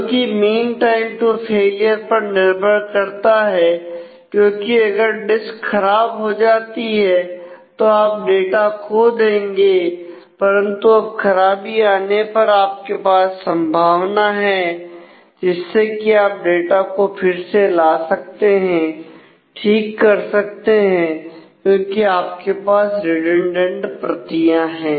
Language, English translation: Hindi, So, which depends on mean time to failure, because if you are if you are failed then you have lost the data, but when you have failed you have a possibility now, to recover the data to repair it; because you have redundant copies